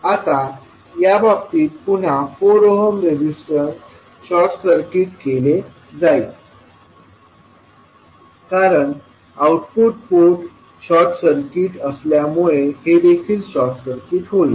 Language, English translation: Marathi, Now, in this case again the 4 ohm resistor will be short circuited because this will be short circuited because of the output port is short circuit